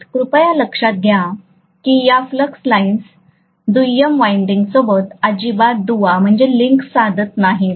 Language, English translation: Marathi, Please note that these flux lines are not linking with the secondary winding at all